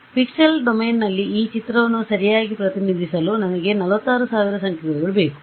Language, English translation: Kannada, So, in order to represent this picture correctly in the pixel domain, I need 46000 numbers right